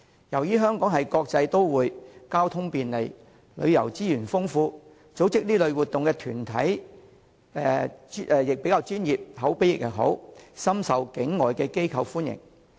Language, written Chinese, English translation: Cantonese, 由於香港是國際都會，交通便利，旅遊資源豐富，而組織這類活動的團體亦既專業，又口碑佳，故此，活動深受境外團體歡迎。, As Hong Kong is a cosmopolitan city with good transport networks and abundant tourism resources and organizations holding this type of activities are both professional and reputable these activities are highly popular among non - Hong Kong organizations